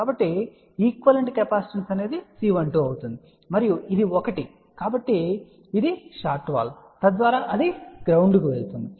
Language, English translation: Telugu, So, the equivalent capacitance will be C 1 2 and this is one since it is a shorted wall , so that is going to ground